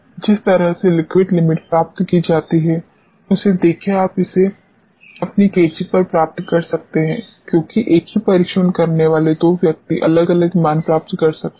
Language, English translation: Hindi, See the way liquid limit is obtained is a very you may get it on your scissors; because two persons doing the same test may end up doing different values